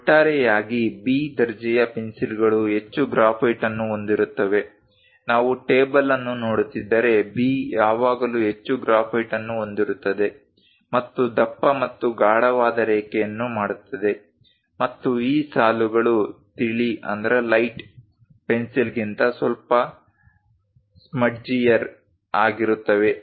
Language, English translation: Kannada, Over all B grade pencils contains more graphite; if we are looking at the table, B always contains more graphite and make a bolder and darker lines, and these lines are little smudgier than light pencil